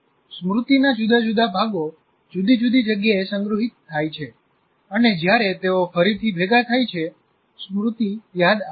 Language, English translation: Gujarati, Different parts of the memory are stored in different sites, and they get reassembled when the memory is recalled